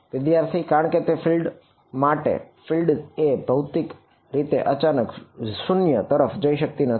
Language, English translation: Gujarati, Because, for a field a field a physical field cannot abruptly go to 0